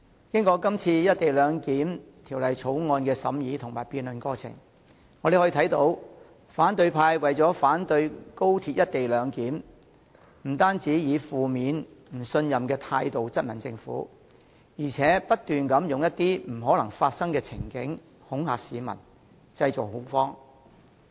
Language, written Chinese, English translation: Cantonese, 經過今次《條例草案》的審議和辯論過程，我們看到反對派為了反對廣深港高速鐵路的"一地兩檢"安排，不但以負面及不信任的態度質問政府，更不斷提出一些不可能發生的情境恐嚇市民，製造恐慌。, As evidenced by the deliberation and debate process of the Bill in order to oppose the co - location arrangement proposed for the Guangzhou - Shenzhen - Hong Kong Express Rail Link XRL the opposition camp has not only questioned the Government with a negative and distrustful attitude but also intimidated the public and created panic by setting out repeatedly some scenarios which are not likely to occur